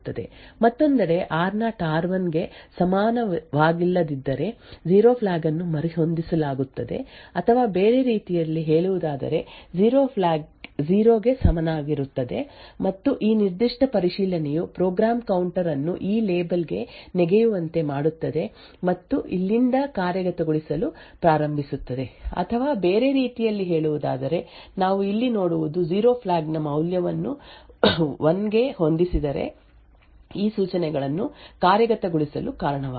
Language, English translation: Kannada, On the other hand if r0 is not equal to r1 then the 0 flag is reset or in other words the 0 flag is equal to 0 and this particular check would cause the program counter to jump to this label and start to execute from here, or in other words what we see over here is a value of 0 flag set to 1 would cause these instructions to be executed